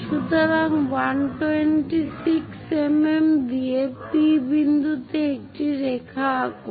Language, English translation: Bengali, So, draw a line at point P with 126 mm